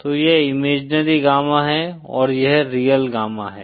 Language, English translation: Hindi, So this is the imaginary gamma and this is the real gamma